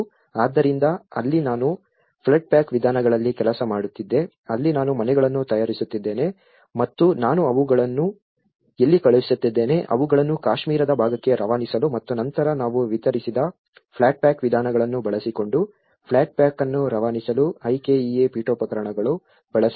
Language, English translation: Kannada, So, there I was working in the flood pack approaches where I was designing the houses getting them made and where I was sending them, to shipping them to the Kashmir part of Kashmir and then shipping flat pack up using the flat pack approaches like we delivered the IKEA furniture